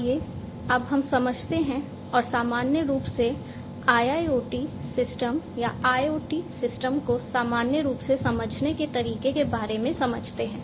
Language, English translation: Hindi, So, let us now get into understanding and going back, going back into the understanding about how in general the IIoT systems or IoT systems in general work